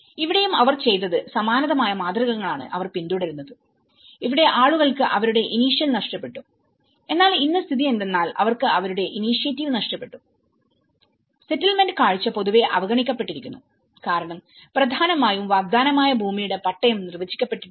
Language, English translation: Malayalam, So, here, also what they did was the similar patterns have been followed and here, the people have lost their initial but today the situation is they lost their initiative and the settlement look generally neglected because mainly the promising land titles have not been defined